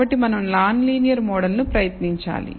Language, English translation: Telugu, So, we have to try and t a non linear model